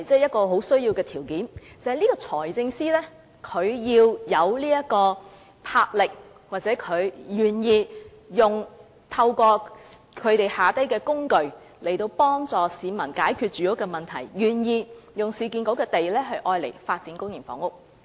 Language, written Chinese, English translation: Cantonese, 不過，先決條件是財政司司長要有魄力或願意透過旗下的機構，幫助市民解決住屋問題，願意用市建局的土地發展公營房屋。, Nevertheless the prerequisite is that the Financial Secretary must have the enterprise or be willing to assist people in resolving their housing problems through the organizations under his charge and use URAs lands to develop public housing